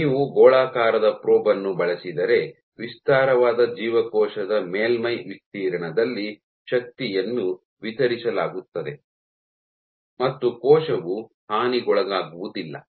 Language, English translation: Kannada, While If you use a spherical probe, the force is distributed over a wider cell surface area of the cell and the cell does not get damaged